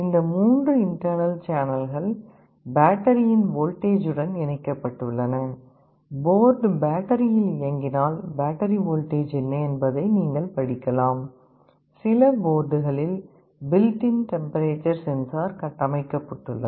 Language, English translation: Tamil, These 3 internal channels are connected to the voltage of the battery; if the board is running on battery you can read what is the battery voltage, then there is a built in temperature sensor in some of the boards